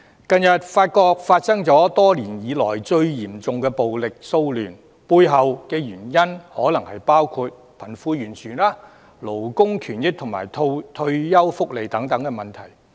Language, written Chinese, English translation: Cantonese, 近日法國發生多年來最嚴重的暴力騷亂，背後原因可能包括貧富懸殊、勞工權益及退休福利等問題。, Recently France saw the worst rioting for years . The underlying causes may include wealth disparity labour rights retirement benefits and other issues alike